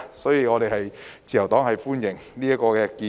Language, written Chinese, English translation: Cantonese, 所以，自由黨歡迎這項建議。, For this reason LP welcomes the proposal